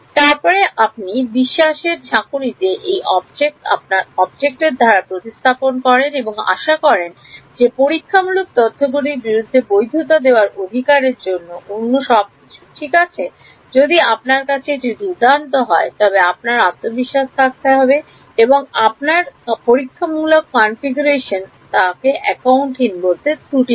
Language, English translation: Bengali, Then you take a leap of faith replace that object by your object and hope everything else for that right having the luxury of validating against experimental data may not always be there if you have that is great, but then you have to have confidence that your experimental configuration does not have unaccounted errors themself